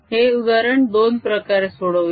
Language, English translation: Marathi, let us solve the problem in both ways